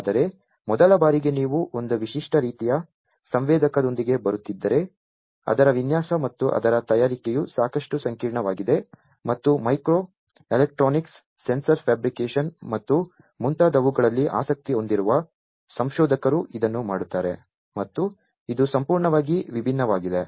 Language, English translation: Kannada, But for the first time if you are coming up with a unique type of sensor the designing of it and fabrication of it is quite complex and is typically done by researchers, who take interest in micro electronics, sensor fabrication, and so on that is completely different